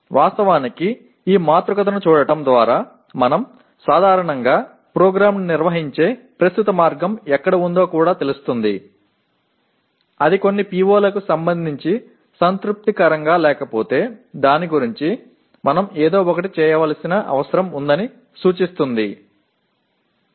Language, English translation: Telugu, Then by looking actually at this matrix we will also know where we are generally our present way of conducting the program if it is not satisfactory with respect to some of the POs that becomes an indication that we need to do something about that